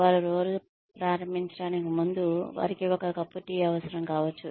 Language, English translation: Telugu, May need a cup of tea, before they start the day